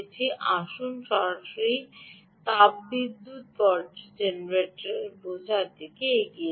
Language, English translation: Bengali, let's move on to understanding thermoelectric generators